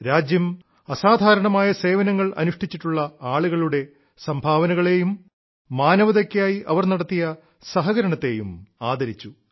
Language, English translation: Malayalam, The nation honored people doing extraordinary work; for their achievements and contribution to humanity